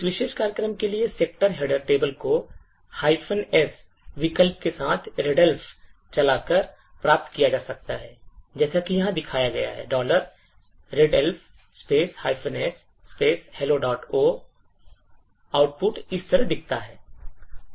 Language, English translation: Hindi, The section header table for this particular program can be obtained by running readelf with the minus S option as shown over here that is readelf minus S hello dot O